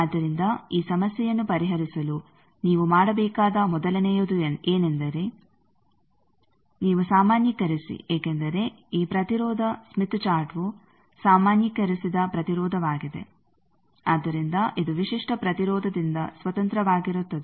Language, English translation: Kannada, So the first thing that you need to do to solve this problem is you normalize because this impedance smith chart is normalized impedance so that it is independent of characteristic impedance